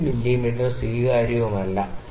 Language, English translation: Malayalam, 5 mm is not acceptable